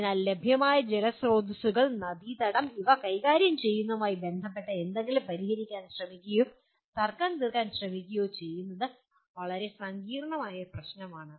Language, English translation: Malayalam, So trying to really resolve or trying to solve a problem anything related to managing available water resources, the river basin is a very very complex problem